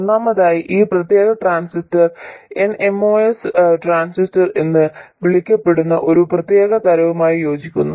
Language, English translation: Malayalam, First of all this particular transistor corresponds to one particular type called the NMOS transistor